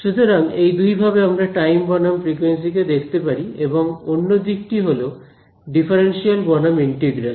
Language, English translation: Bengali, Now so that is two different ways of looking at time versus frequency; the other aspect is differential versus integral